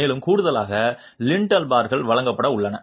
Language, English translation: Tamil, And in addition, lintel bars are to be provided